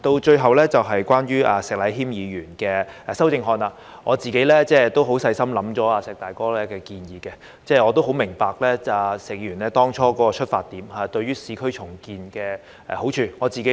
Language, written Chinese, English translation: Cantonese, 最後，關於石禮謙議員的修正案，我自己都細心想過"石大哥"的建議，亦很明白石議員當初是以市區重建的好處作為出發點。, Lastly concerning Mr Abraham SHEKs amendments I have carefully considered the suggestions put forward by Brother SHEK and understand that the rationale behind them is the benefits of urban renewal